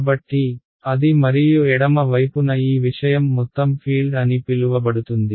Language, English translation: Telugu, So, that and on the left hand side this thing over here is what is called the total field